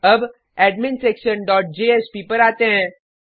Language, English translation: Hindi, Now, let us come to adminsection dot jsp